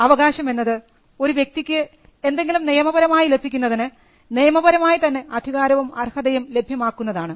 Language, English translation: Malayalam, A right refers to a legal entitlement, something which you are entitled to get legally